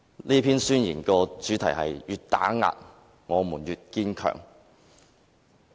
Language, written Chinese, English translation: Cantonese, 這篇宣言的主題是"越打壓，我們越堅強"。, This manifesto is entitled We will emerge ever stronger from suppression